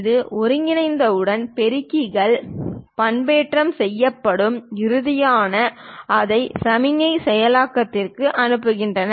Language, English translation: Tamil, And once this is converged is amplifiers modulated and finally send it for signal processing